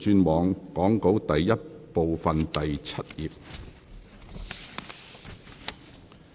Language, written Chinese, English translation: Cantonese, 請議員轉往講稿第 I 部第7頁。, Will Members please turn to Page 7 of Part I of the Script